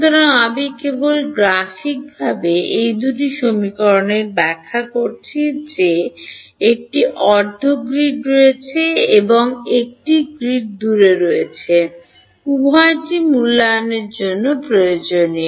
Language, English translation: Bengali, So, I am just graphically interpreting these two equations that there is a half grid and one grid away these both are required to evaluate the field at a given time instance